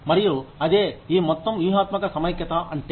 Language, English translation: Telugu, And, that is what, this whole strategic integration means